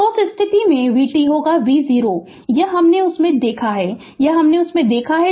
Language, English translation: Hindi, So, in that case v t will be v 0 right this ah this we have seen from that, this we have seen from that right